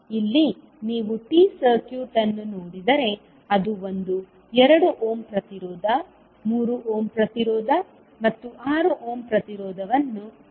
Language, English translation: Kannada, So here if you see you have the T circuit which has one 2 ohm resistance, 3 ohm resistance and 6 ohm resistance